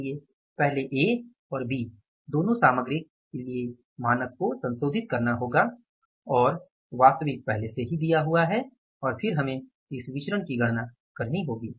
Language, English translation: Hindi, So, we will have to first revise the standard for both the materials A and B and actually is already given to us and then we will have to calculate this variance